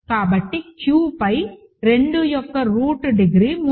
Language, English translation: Telugu, So, degree of cube root of 2 over Q is 3